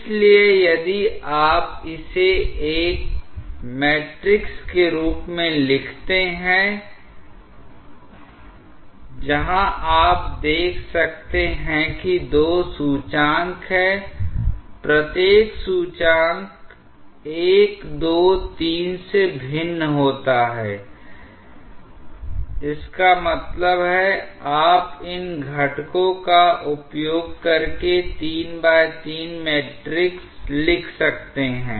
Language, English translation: Hindi, So, if you write it in the form of a matrix where you can see there are two indices each index varies from 1, 2 3; that means, you can write a 3 by 3 matrix using these components